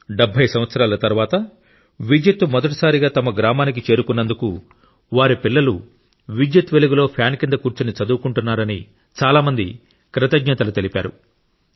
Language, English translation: Telugu, Many people are thankful to the country that electricity has reached their village for the first time in 70 years, that their sons and daughters are studying in the light, under the fan